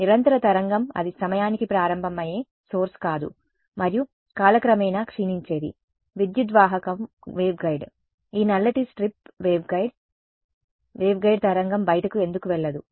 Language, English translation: Telugu, Continuous wave it is not that source that starts in time and that decays in time continuous wave the dielectric is the waveguide this black strip over here is the waveguide why would not the wave go out ok